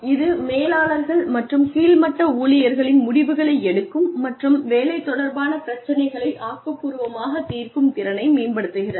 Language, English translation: Tamil, It improves, the ability of managers, and lower level employees, to make decisions, and solve job related problems, constructively